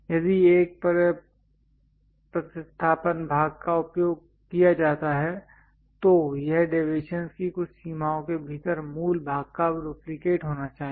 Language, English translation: Hindi, If a replacement part is used it must be a duplicate of the original part within certain limits of deviation